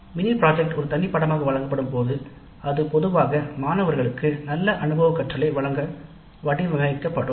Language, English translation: Tamil, Now when mini project is offered a separate course, it is generally designed to provide good experiential learning to the students